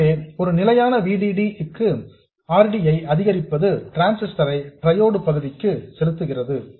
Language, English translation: Tamil, So, for a fixed VDD, increasing RD drives the transistor into triode reason